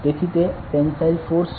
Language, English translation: Gujarati, So, that is the tensile force